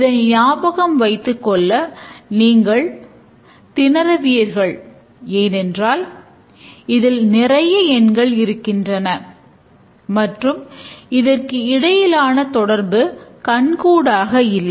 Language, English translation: Tamil, You will struggle to remember this because there are too many digits and then the relation among them is not so obvious